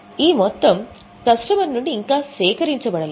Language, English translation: Telugu, The amount is yet to be collected from the customer